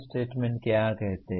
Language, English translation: Hindi, What does the statement say